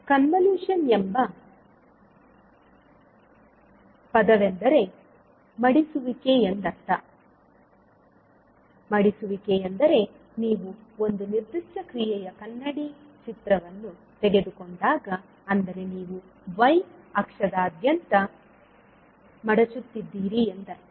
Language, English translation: Kannada, The term convolution means folding, so folding means when you take the mirror image of a particular function, means you are folding across the y axis